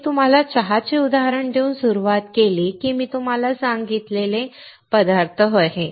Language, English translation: Marathi, I started with giving you an example of the tea, that the things that I told you were the ingredients